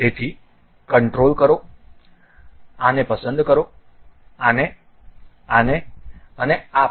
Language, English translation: Gujarati, So, control, pick this one, this one, this one and also this one